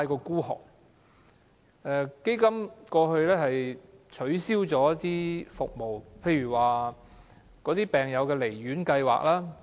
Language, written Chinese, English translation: Cantonese, 基金過去取消了一些服務，例如病友離院服務。, As a matter of fact the problem is that the Fund is simply stingy in that a number of services had been cancelled